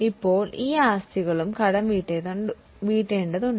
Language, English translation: Malayalam, Now these assets are also required to be amortized